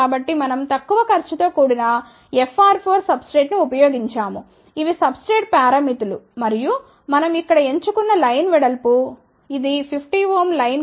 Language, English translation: Telugu, So, we have used the low cost FR 4 substrate, these are the substrate parameters and what we have chosen here line width, which is 1